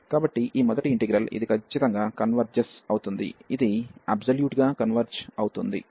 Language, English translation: Telugu, So, this first integral this is converges absolutely this converges converges absolutely